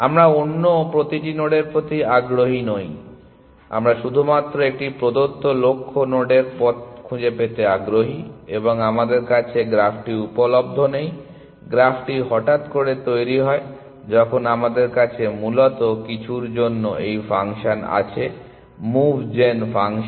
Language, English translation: Bengali, We are not interested in to every other nod, we are only interested in finding a path to a given goal node and we do not have the graph available to us, the graph is generated on the fly as we go along essentially for some were we have this function, move gen function